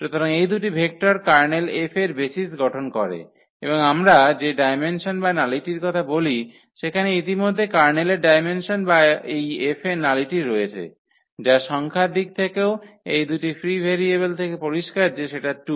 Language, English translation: Bengali, So, these two vectors form the basis of the of the Kernel F and the dimension or the nullity which we call is already there the dimension of the Kernel or the nullity of this F which was clear also from the number of these free variables which are 2 here